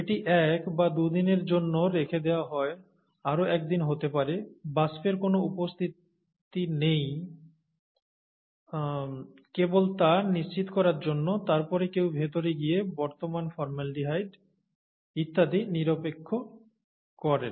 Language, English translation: Bengali, It is left there for a day or two, and may be a day more, just to make sure that none of the vapours are present, and then somebody gets in and neutralizes the present formaldehyde and so on so forth